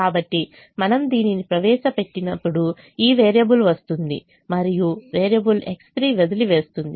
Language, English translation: Telugu, so if we enter this, then this variable will come in and variable x three will leave